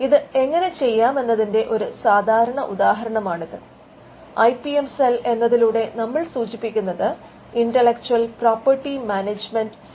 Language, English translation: Malayalam, This is a typical example of how it is done and by IPM cell we refer to the intellectual property management cell or it could also be called the technology transfer office